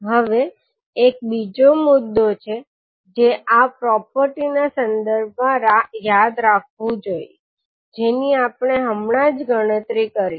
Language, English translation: Gujarati, Now there is another point which we have to remember with respect to this property which we have just now calculated